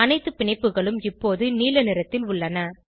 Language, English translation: Tamil, All the bonds are now blue in color